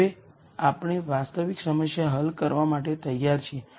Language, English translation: Gujarati, Now we are ready to solve the actual problem